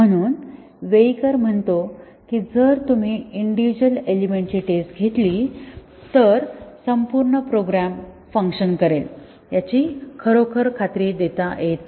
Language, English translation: Marathi, So, he says that if you just test the individual component that does not really guarantee that the entire program will be working